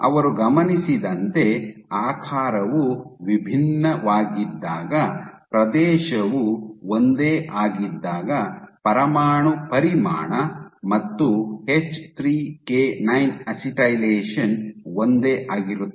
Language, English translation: Kannada, So, long as the area was same, so the nuclear volume and H3K9 acetylation was identical